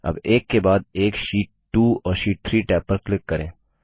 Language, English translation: Hindi, Now click on the Sheet 2 and the Sheet 3 tab one after the other